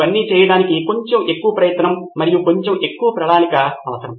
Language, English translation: Telugu, It just takes a little more effort and little more planning to do all this